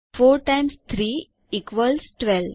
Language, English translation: Gujarati, 4 times 3 equals 12